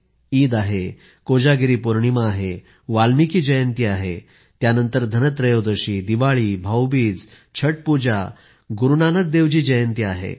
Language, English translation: Marathi, There is Eid, Sharad Poornima, Valmiki Jayanti, followed by Dhanteras, Diwali, Bhai dooj, the Pooja of Chatthi Maiyya and the birth anniversary of Guru Nanak Dev ji…